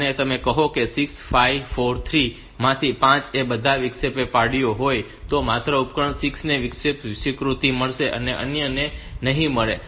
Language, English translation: Gujarati, Even if say 5 out of 6 5 4 3 all of them have interrupted only device 6 will get the interrupt acknowledge not the others